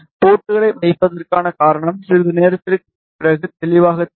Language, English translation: Tamil, The reason for putting the ports will be clear after sometime